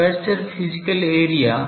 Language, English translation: Hindi, The aperture physical area